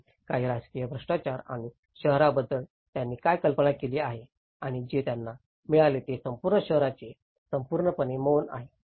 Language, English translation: Marathi, And also, some political corruptions and what they have envisioned about the city and what they have got is a complete vast scale of a city which is utterly silence